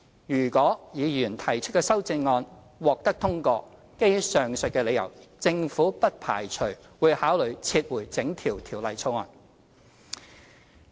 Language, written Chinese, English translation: Cantonese, 如果議員提出的修正案獲得通過，基於上述理由，政府不排除會考慮撤回整項《條例草案》。, If the Members amendments are passed given the reasons stated above the Government does not rule out the possibility of considering the withdrawal of the entire Bill